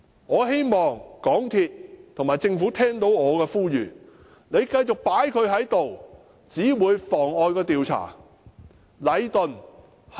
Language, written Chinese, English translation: Cantonese, 我希望港鐵公司與政府聽到我的呼籲，繼續讓這個人留下來只會妨礙調查。, I hope that MTRCL and the Government would take heed of my appeal because allowing this person to stay will hinder the investigation